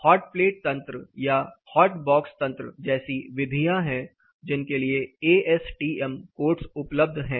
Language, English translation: Hindi, There are methods like hot plate apparatus, hot box apparatus these are apparatus used for ASTM codes are available